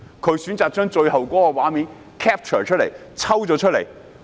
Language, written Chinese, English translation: Cantonese, 他選擇抽取最後的畫面讓市民觀看。, He selected the final scene to show members of the public